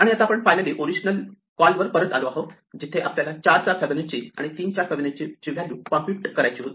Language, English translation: Marathi, And now we are finally, back to the original call where we had to compute Fibonacci of 4 and Fibonacci of 3